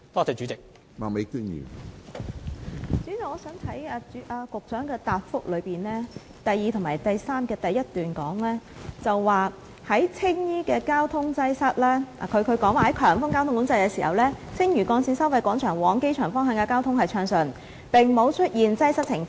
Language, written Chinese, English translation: Cantonese, 主席，局長在主體答覆的第二及三部分的第一段指出，"在強風交通管制時，青嶼幹線收費廣場往機場方向的交通暢順，並無出現擠塞情況。, President the Secretary pointed out in the first paragraph of parts 2 and 3 of the main reply that the traffic to the Airport at the Lantau Link Toll Plaza remained smooth and there was no congestion during the high wind traffic management